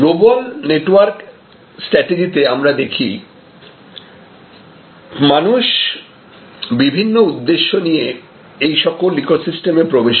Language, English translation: Bengali, So, in the global network strategy as you will see that people join these ecosystems with different types of motives